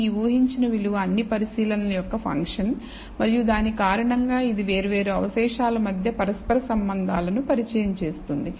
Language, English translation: Telugu, This predicted value is a function of all the observations, and that because of that it introduces a correlations between the different residuals